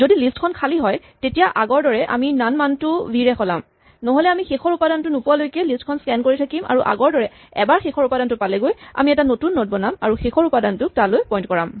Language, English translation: Assamese, If the list is empty as before we replace the value none by v, otherwise we scan the list till we reach the last element and then once we reach the last element as in the earlier case we create a new node and make the last element point to it